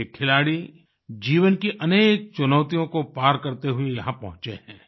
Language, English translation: Hindi, These sportspersons have reached where they are after overcoming numerous hurdles in life